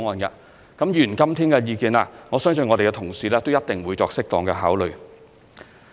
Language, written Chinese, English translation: Cantonese, 至於議員今天的意見，我相信我們的同事一定會作適當考慮。, Regarding the views put forth by Members today I believe our colleagues will appropriately take them into consideration